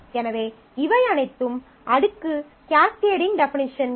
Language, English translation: Tamil, So, all these are cascading definitions